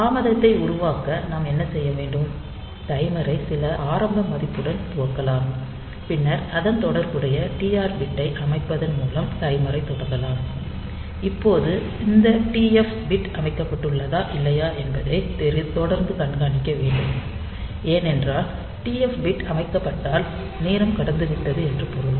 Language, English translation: Tamil, So, we can initialize the those timer with some value with some initial value, then start the timer by setting the corresponding TR bit and now continually monitor whether these TF bit is set or not, because once the TF bit is set means that time has passed